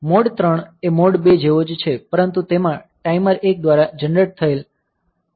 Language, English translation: Gujarati, Mode 3 same as mode 2, but may have variable baud rate generated by timer 1